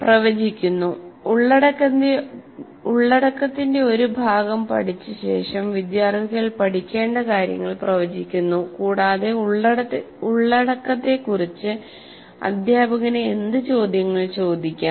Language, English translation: Malayalam, After studying a section of the content, the students predict the material to follow and what questions the teacher might ask about the content